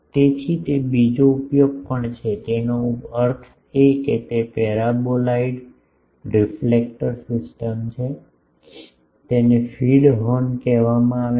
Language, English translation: Gujarati, So, that is also another use; that means, in that the paraboloidal reflector system it is called a feed horn